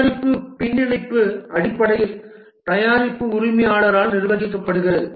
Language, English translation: Tamil, The product backlog is basically managed by the product owner